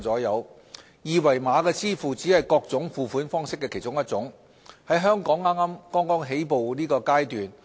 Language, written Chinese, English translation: Cantonese, 二維碼支付只是各種付款方式的其中一種，在香港是剛起步階段。, QR code payment is only one of the various payment means and its development in Hong Kong is still at its early stage